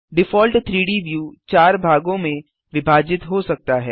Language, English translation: Hindi, The default 3D view can be divided into 4 parts